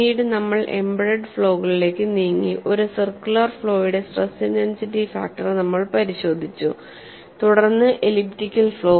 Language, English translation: Malayalam, Then we moved on to embedded flaws, looked at stress intensity factor for a circular flaw then the elliptical flaw and then graduated to surface cracks